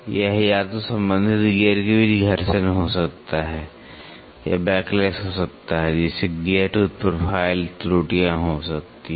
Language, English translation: Hindi, It can be either friction between the mating gears or can be backlash which will lead to gear tooth profile errors